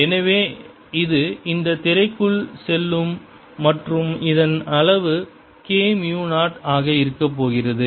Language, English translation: Tamil, this is the direction, so it's going to be going into this screen and is magnitude is going to be k, mu zero